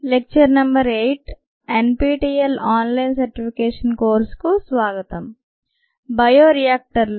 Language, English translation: Telugu, welcome to lecture number eight ah, an online, the nptel online certification course on bioreactors